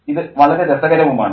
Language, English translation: Malayalam, And that's very interesting